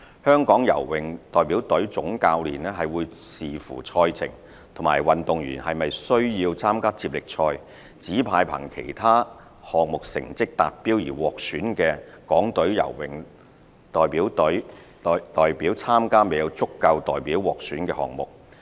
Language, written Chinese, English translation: Cantonese, 香港游泳代表隊總教練會視乎賽程和運動員是否需要參加接力賽，指派憑其他項目成績達標而獲選的港隊游泳代表參加未有足夠代表獲選的項目。, For swimming events with no or only one athlete selected the Head Coach of the Hong Kong Swimming Representative Team would subject to the competition schedule and the athletes participation in relay events assign athletes who had been selected to be part of the Delegation on the basis of results attained in other swimming events to compete in these swimming events